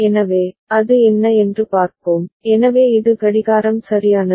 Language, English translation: Tamil, So, let us see what is it, so this is the clock right